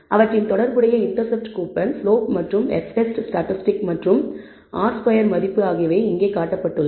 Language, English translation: Tamil, And their corresponding intercept coupon the slope as well as the f test statistic and so on r squared value is shown here